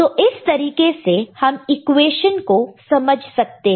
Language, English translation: Hindi, So, this is the way the equation can be understood, right